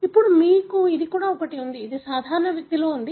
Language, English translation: Telugu, Now, you also have this, this in normal individual